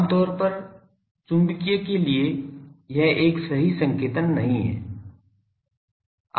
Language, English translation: Hindi, Generally, for magnetic this is not a correct notation